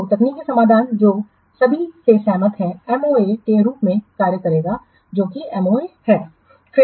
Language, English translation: Hindi, So, the technical solution which is agreed by all that will serve as the MOA, that is the MOA